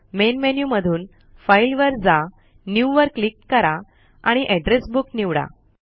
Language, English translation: Marathi, From the Main menu, go to File, click New and select Address Book